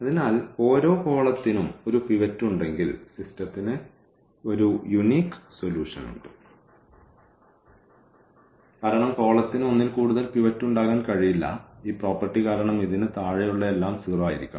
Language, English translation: Malayalam, So, if each column has a pivot then the system has a unique solution because the column cannot have more than one pivot that because of this property that below this everything should be 0